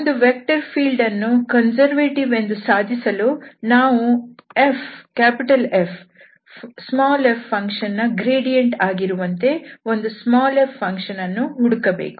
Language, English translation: Kannada, So to prove that this given vector field is conservative, we have to now find f, such that we can write this F as the gradient of small f